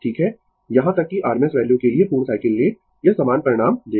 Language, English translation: Hindi, Even you take the full cycle for r m s value, it will give the same result